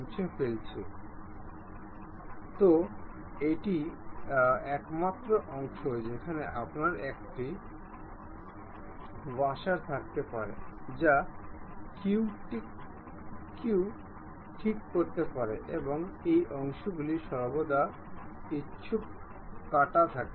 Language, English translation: Bengali, So, this only the portion where you can have a washer which one can fix it and these portions are always be having inclined cut